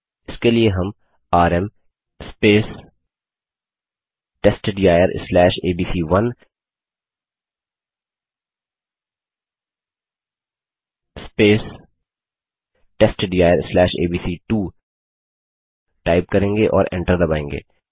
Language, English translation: Hindi, For this we would type rm space testdir/abc1 space testdir/abc2 and press enter